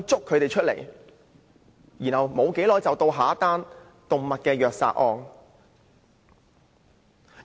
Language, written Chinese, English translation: Cantonese, 過了不久，又會發生另一宗動物虐殺案。, After a while another case of cruel killing of animal would take place